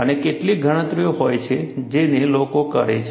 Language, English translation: Gujarati, And there are certain calculations, people do